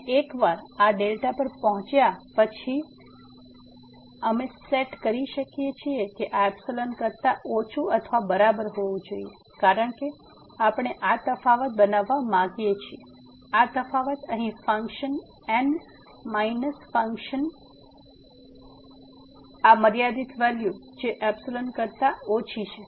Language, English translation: Gujarati, And once we reach to this delta, then we can set that this must be equal to less than equal to epsilon because we want to make this difference; this difference here of the function minus this limiting value less than epsilon